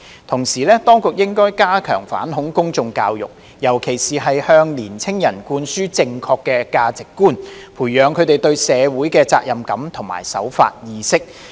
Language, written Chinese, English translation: Cantonese, 同時，當局應加強反恐公眾教育，尤其是向年青人灌輸正確價值觀，培養他們對社會的責任感及守法意識。, Meanwhile the Administration should step up public education on counter - terrorism to particularly instil correct values amongst young people as well as foster their sense of social responsibility and law - abiding awareness